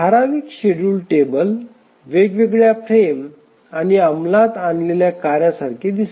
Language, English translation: Marathi, So, typical schedule table would look like the different frames and the tasks that are to be executed